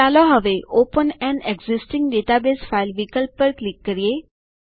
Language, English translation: Gujarati, Let us now click on the open an existing database file option